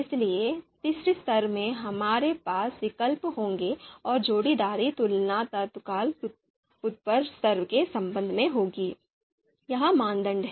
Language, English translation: Hindi, So in the third level, we will have the alternatives and the pairwise comparisons would be with respect to the immediate upper level, that is you know criteria